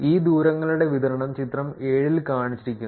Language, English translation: Malayalam, Which is, distribution of these distances are shown in figure 7